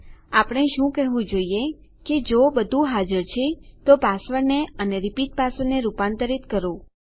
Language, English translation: Gujarati, What we should say is if everything exists then we can convert our password and repeat password